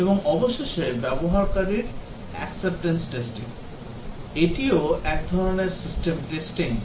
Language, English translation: Bengali, And finally the User Acceptance Testing, this is also a type of system testing